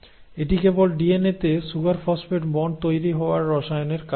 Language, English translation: Bengali, And that is simply because of the chemistry by which the sugar phosphate bond in DNA is actually formed